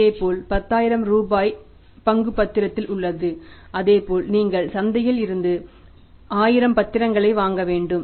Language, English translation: Tamil, For example, similarly if the one security is for 10 rupees then same way you have to buy 1,000 securities from the market